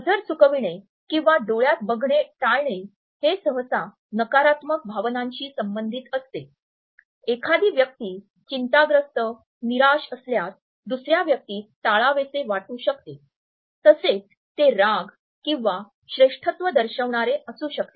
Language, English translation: Marathi, And all together gaze avoidance is normally associated with negative emotions, a person may be nervous may be feeling downcast wants to avoid the other person, wants to show the anger etcetera or the superiority